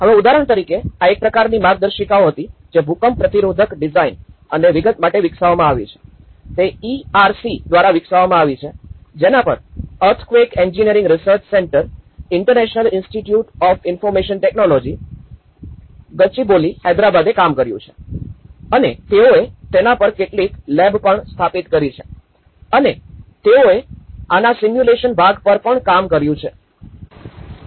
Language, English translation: Gujarati, Now, for example, this was an a kind of guidelines which have been developed for earthquake resistant design and detailing and this has developed by ERC which is the Earthquake Engineering Research Centre, International Institute of Information Technology, this is where the IIIT in Gachibowli, Hyderabad have worked and they have also set up some lab on it and they have worked on the simulations part of it